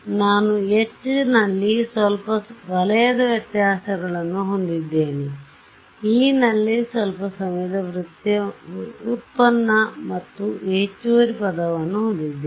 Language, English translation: Kannada, I had a some space difference in H, some time derivative in E and an additional term